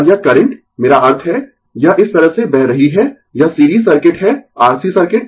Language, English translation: Hindi, And this current i mean, it is flowing like this, it is series circuit R C circuit